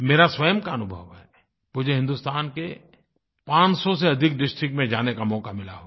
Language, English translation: Hindi, This is my personal experience, I had a chance of visiting more than five hundred districts of India